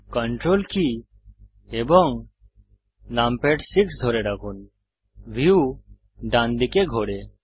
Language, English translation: Bengali, Hold Ctrl numpad 6 the view pans to the right